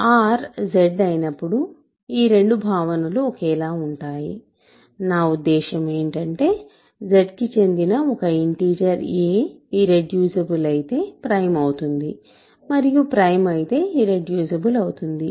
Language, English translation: Telugu, When R is Z these two notions are same, what I mean is, an integer if a belongs to Z, a is irreducible if and only if a is prime